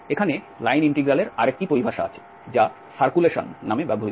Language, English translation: Bengali, There is another terminology used here the line integral as circulation